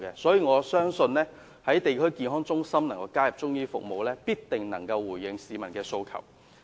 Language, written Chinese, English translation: Cantonese, 所以，我相信在地區康健中心加入中醫服務，必定能夠回應市民的訴求。, Therefore I believe the inclusion of Chinese medicine services in district health centres can address public aspiration